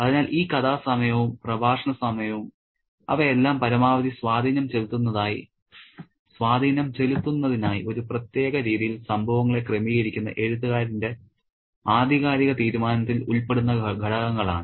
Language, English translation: Malayalam, So, the story time and the discourse time are all factors which are involved in the authorial decision of the writer who arranges events in a particular way to create the maximum impact